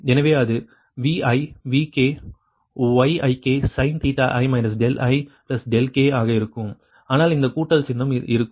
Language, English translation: Tamil, so it will be vi vk yik sin theta ik, minus delta i plus delta k, but this summation symbol will be there